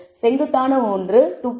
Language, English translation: Tamil, The steep one 2